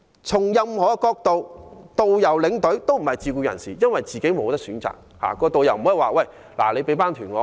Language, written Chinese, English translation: Cantonese, 從任何角度看，導遊和領隊都不是自僱人士，因為他們根本沒有選擇。, Judging from whatever angle we can easily tell that tourist guides and tour escorts are not self - employed persons for they have no choice at all